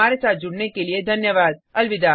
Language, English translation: Hindi, Thank you for joining us, Good Bye